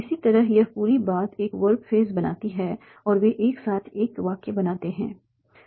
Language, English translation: Hindi, Similarly this whole thing makes a verb phrase and they together make a sentence